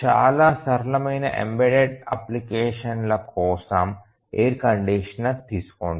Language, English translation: Telugu, For very very simple embedded applications, for example, let us say a air conditioner